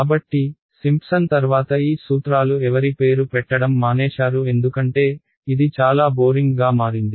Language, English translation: Telugu, So, these formulae after Simpson they stopped being named after anyone because, it became too boring